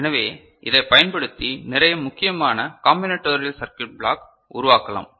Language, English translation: Tamil, So, this we can utilize in generating various important you know, combinatorial circuit block ok